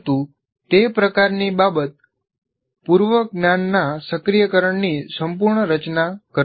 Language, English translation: Gujarati, But that is, that kind of thing doesn't fully constitute the activation of prior knowledge